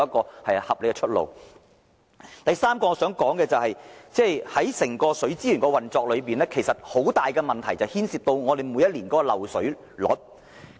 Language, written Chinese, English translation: Cantonese, 第三點我想說的是，本港整體水資源運作存在很大問題，就是每一年度的漏水率。, The third point I want to mention is that Hong Kongs overall operation of water resources suffers from a big problem which is the annual water main leakage rate